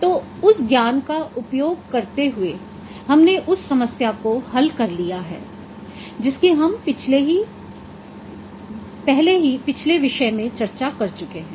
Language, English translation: Hindi, So using that knowledge then we have solved that problem that we have already discussed in a previous topic